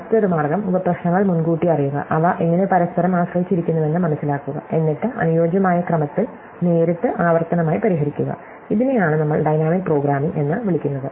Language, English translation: Malayalam, The other way is to, is to anticipate the subproblems, figure out how they depend on each other, then solve them directly iteratively in a suitable order and this is what we call dynamic programming